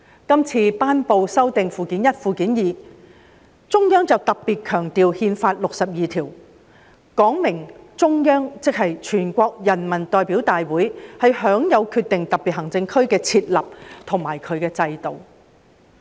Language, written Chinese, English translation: Cantonese, 今次頒布修訂《基本法》附件一及附件二，中央便特別強調《憲法》第六十二條，說明中央即全國人大有權決定特別行政區的設立和制度。, In the amended Annexes I and II to the Basic Law promulgated this time around the Central Authorities have placed special emphasis on Article 62 of the Constitution stating that the Central Authorities ie . NPC are empowered to decide on the establishment of special administrative regions and the systems to be instituted there